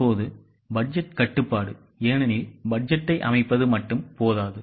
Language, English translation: Tamil, Now budgetary control because only setting up of budget is not enough